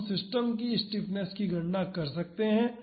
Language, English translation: Hindi, So, we can calculate the stiffness of the system